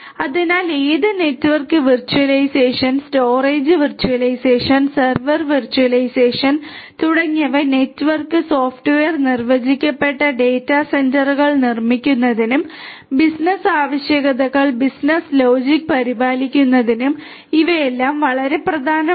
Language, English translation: Malayalam, So, network what network virtualization, storage virtualization, server virtualization and so on these are core to building software defined data centres and taking care of the business requirements business logic these also will have to be taken care of adequately